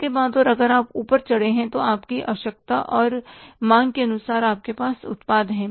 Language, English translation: Hindi, And after that if you want to go up in the ladder, you have the product according to your requirement and demand